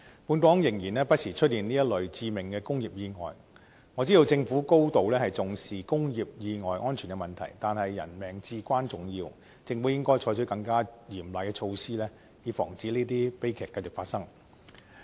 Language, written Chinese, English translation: Cantonese, 本港不時出現這一類致命的工業意外，我知道政府高度重視工業安全問題，但是人命至關重要，政府應該採取更嚴厲的措施，以防止這些悲劇繼續發生。, This type of fatal industrial accidents occurs from time to time in Hong Kong . I understand that the Government attaches great importance to industrial safety but human lives are of paramount importance . It should adopt more stringent measures to prevent the recurrence of such tragedies